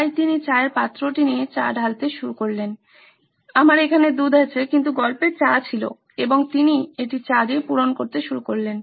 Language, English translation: Bengali, So he took the tea pot and started pouring tea I have milk here but in my story there was tea and he started filling it up with tea